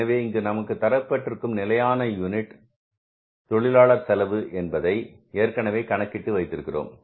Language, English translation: Tamil, So, we are given here standard unit labor cost we have already calculated